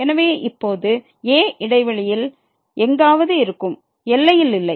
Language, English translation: Tamil, So now, is somewhere inside the interval not at the boundary